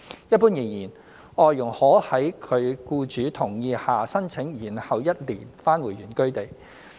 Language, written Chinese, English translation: Cantonese, 一般而言，外傭可在其僱主同意下申請延後一年返回原居地。, In general FDHs may apply for a one - year deferral for returning to their place of origin subject to agreement with their employers